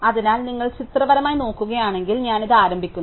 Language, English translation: Malayalam, So, if you want to look at the pictorially, so I start with this